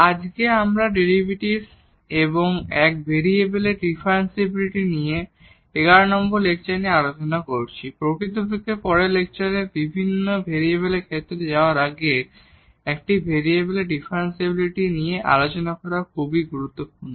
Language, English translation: Bengali, And today’s we are discussing lecture number 11 on Derivatives and Differentiability of One Variable; actually it is very important to discuss differentiability of one variable before we go for the several variable case in the next lecture